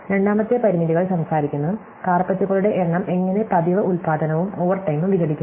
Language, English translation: Malayalam, The second constraints talks about, how the number of carpets made break up into the regular production plus the overtime